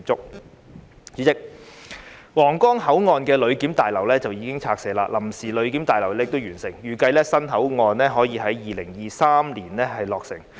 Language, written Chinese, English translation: Cantonese, 代理主席，皇崗口岸的旅檢大樓已拆卸，臨時旅檢大樓亦已完成，預計新口岸可以在2023年落成。, Deputy President following the demolition of the original passenger clearance building of the Huanggang Port the temporary passenger clearance building has already been completed and it is anticipated that the new control point can be commissioned in 2023